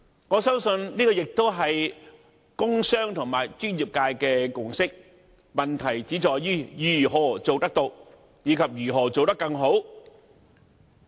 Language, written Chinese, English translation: Cantonese, 我相信，這也是工商和專業界的共識，問題只在於如何做得到？以及如何做得更好？, I believe this is also the consensus reached between the business and the professional sectors . The question is how this can be done and how this can be done in a better way